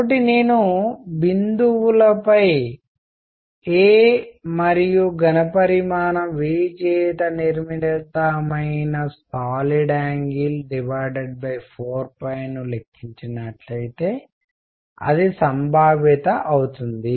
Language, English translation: Telugu, So, if I calculate the solid angle made by a on points and volume V and divided by 4 pi that is going to be the probability